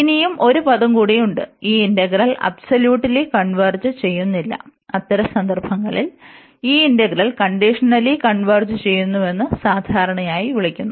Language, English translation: Malayalam, And there is a one more term, which is used here that this integral converges conditionally meaning that this integral converges, but does not converge absolutely